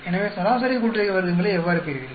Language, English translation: Tamil, So, how do you get the mean sum of squares